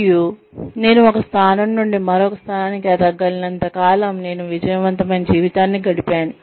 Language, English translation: Telugu, And, as long as, I am able to progress, from one position to the next, I have led a successful life